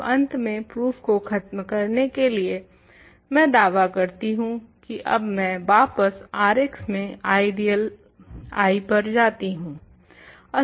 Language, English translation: Hindi, Now, finally, to finish the proof I claim that, I now go back to the ideal I in r x